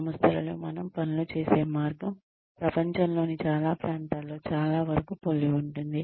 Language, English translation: Telugu, The way, we do things, is very similar in organizations, in most parts of the world